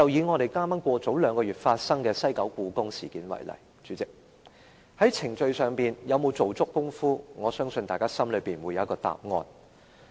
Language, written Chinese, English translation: Cantonese, 代理主席，以兩個月前發生的西九故宮館事件為例，在程序上，政府有否做足工夫，我相信大家心裏有數。, Deputy President take the incident of the Hong Kong Palace Museum in the West Kowloon Cultural District which happened two months ago as an example . As far as the procedure is concerned did the Government do its job fully? . I believe we already have an answer in our mind